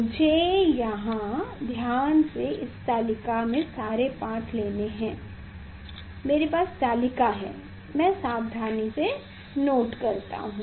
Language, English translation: Hindi, I should note down the reading here for that I have table; I have table I will note down the reading